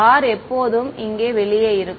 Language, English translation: Tamil, R is always outside over here